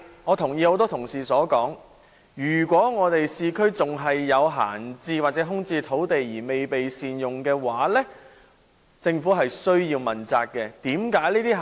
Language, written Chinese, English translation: Cantonese, 我同意很多同事所說，如果市區仍有閒置或空置土地未被善用，政府需要問責。, I agree with many Members that if there are still idle land lots or vacant land lots that have not been well utilized in the urban areas the Government should be held responsible